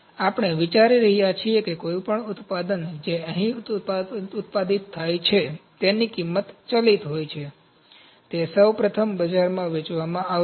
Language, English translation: Gujarati, So, we are considering that any product is that is produced here, it has variable cost, those would be sold to the market number 1